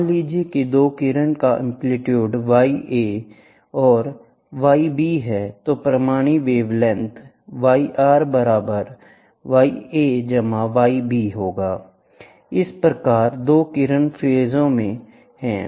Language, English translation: Hindi, Suppose a 2 rays have amplitude y A and y B, then the resultant wavelength y R is going to be y A plus y B